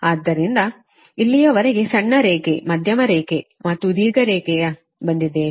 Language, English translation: Kannada, so up to this we have come for short line, medium line and long line, right